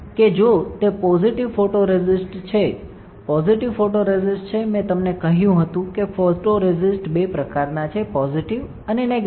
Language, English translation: Gujarati, That if it is a positive photoresist, if a positive photoresist, I told you photoresist are two types, positive and negative